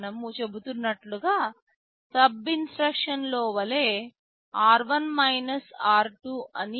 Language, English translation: Telugu, Like in SUB instruction we are saying r1 r2